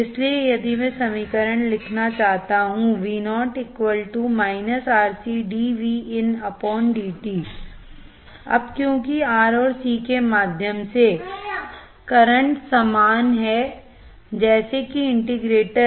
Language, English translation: Hindi, Now, since the current through R and C are the same, like the integrator